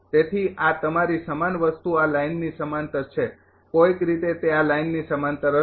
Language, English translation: Gujarati, Therefore, this is your same thing parallel to this line somehow it will be parallel to this line